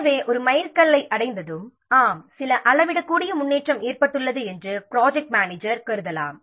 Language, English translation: Tamil, So, once a milestone is reached, the project manager can assume that yes, some measurable progress has been made